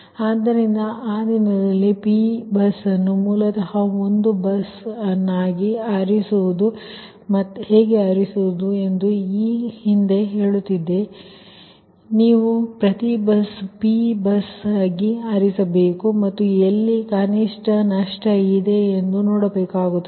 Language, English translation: Kannada, previously i was telling that every your what you call, you have to chose every bus along these as a p bus and you have to see how loss is minimum